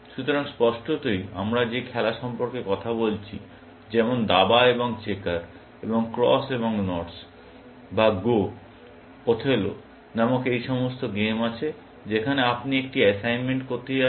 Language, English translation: Bengali, So, obviously, the game that we have been talking about, like chess and checkers and Cross and Knots, or Go; all these game called Othello in which, you are going to do an assignment